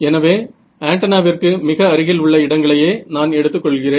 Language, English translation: Tamil, So, I am looking at regions very close to the antenna right